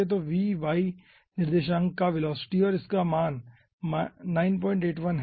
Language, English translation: Hindi, so v, v is the y coordinate, velocity of the y coordinate, and with a value of minus 9, point 81